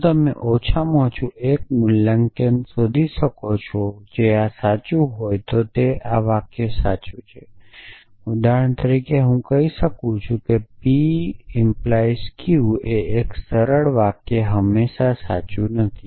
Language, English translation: Gujarati, If you can find at least one valuation which will make this true then that sentence is satisfiable for example, I might say p implies q 1 simple sentence not always true for example, if p true and q false this is false